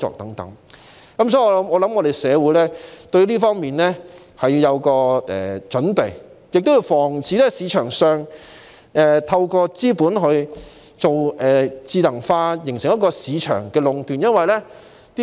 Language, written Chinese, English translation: Cantonese, 有見及此，我認為社會應對這方面有所準備，防範有人在市場上以資本進行智能化作出壟斷。, In view of this I think the community should prepare itself for all this so as to prevent market monopoly through capital investment in intelligentization